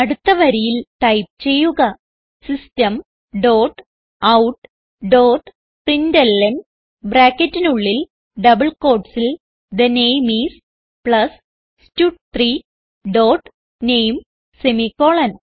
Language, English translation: Malayalam, next line type System dot out dot println within brackets and double quotes The name is, plus stud3 dot name semicolon